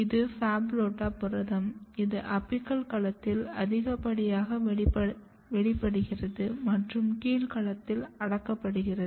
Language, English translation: Tamil, See if you look this model, this PHABULOSA protein which is very which is highly expressed in the apical domain, and it is kept repressed in the basal domain